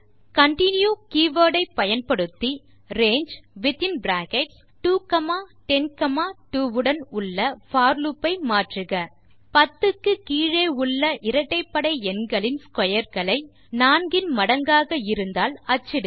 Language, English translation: Tamil, Using the continue keyword modify the for loop, with the range , to print the squares of even numbers below 10, which are multiples of 4